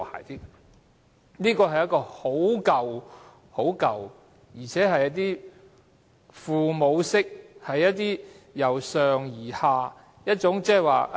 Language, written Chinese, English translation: Cantonese, 這是一套很舊的想法，是一種父母式，由上而下的思維。, This kind of mindset is conservative kind of top - down and paternalistic mindset